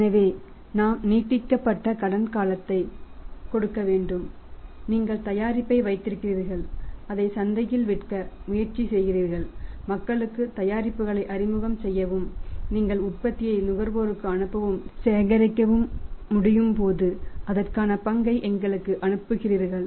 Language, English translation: Tamil, So, we will have to give the extended credit period that okay you keep the product and you try to sell it in the market try to say familiarise the people with the product and when you are able to pass on the product to the consumers and collect the price for that you pass on our part to us